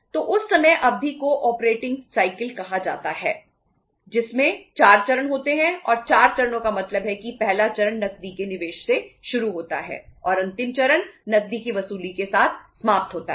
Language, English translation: Hindi, So that time period is called as the operating cycle which is having the 4 stages and 4 stages means first stage begins with investment of cash and the last stage ends up with the recovery of the cash